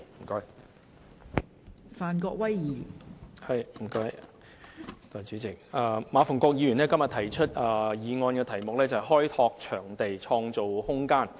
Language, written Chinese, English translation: Cantonese, 代理主席，馬逢國議員今天提出的議案題為"開拓場地，創造空間"。, Deputy President the motion proposed by Mr MA Fung - kwok today is entitled Developing venues and creating room